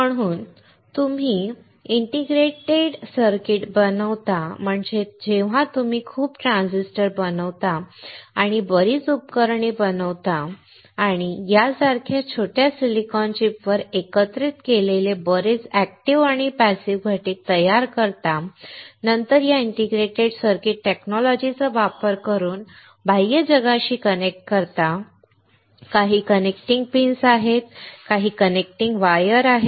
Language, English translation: Marathi, when you fabricate a lot of transistors or a lot of devices or a lot of active and passive components integrated together on a small silicon chip similar to this and then connect it to external world using this integrated circuit technology, there are some connecting pins, and some connecting wires